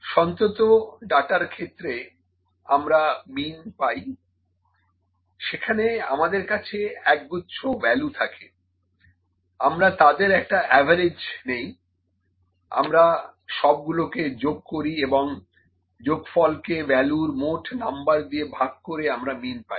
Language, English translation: Bengali, Mean is in continuous data, we have a set of values, we just take the average, we sum up of all those and we divided by the total number of values that, we have that is mean